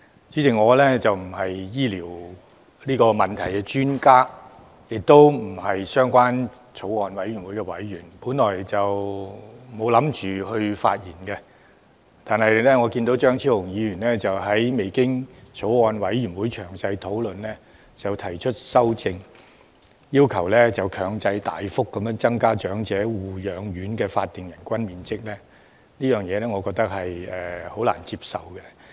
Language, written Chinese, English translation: Cantonese, 主席，我並非醫療問題的專家，亦不是相關法案委員會的委員，本來沒打算發言，但我看到張超雄議員未經法案委員會詳細討論便提出修正案，要求大幅增加長者護養院的法定最低人均樓面面積，我覺得難以接受。, Chairman I am neither an expert on health care issues nor a member of the Bills Committee concerned so I had no intention to speak originally . However I find it hard to accept that Dr Fernando CHEUNG proposed an amendment requesting a substantial increase of the minimum area of floor space per resident in nursing homes for elderly persons without prior discussions in detail by the Bills Committee